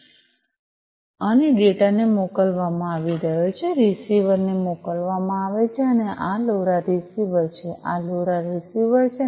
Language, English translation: Gujarati, So, the data are being sent and the data are being sent to the; are being sent to the receiver and this is this LoRa receiver, this is this LoRa receiver